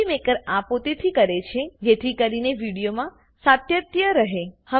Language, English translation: Gujarati, Movie Maker does this on its own so that there is continuity in the video